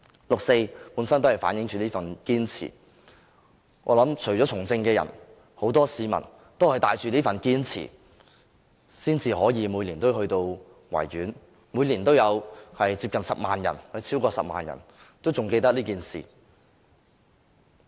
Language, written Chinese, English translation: Cantonese, 六四本身反映着這份堅持，我相信除了從政的人外，很多市民均是帶着這份堅持，才會每年前往維園，每年都有超過10萬人仍記得這件事。, The 4 June incident itself is a reflection of such persistence . I believe that apart from politicians many people also uphold such persistence . This is why they go to the Victoria Park every year and this is also why more than 100 000 people still want to commemorate this incident every year